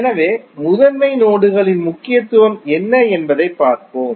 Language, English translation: Tamil, So, let us see what is the significance of the principal nodes